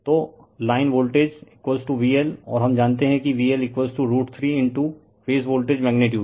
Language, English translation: Hindi, So line voltage is equal to V L and we know V L is equal to root 3 in to phase voltage right magnitude